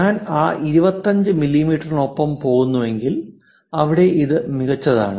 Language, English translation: Malayalam, If I am going with that 25 mm, here this is fine perfectly fine